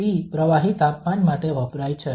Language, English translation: Gujarati, T f stands for the fluid temperature